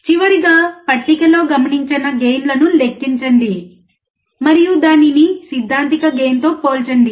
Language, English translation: Telugu, Finally, calculate the gain observed in the table and compare it with the theoretical gain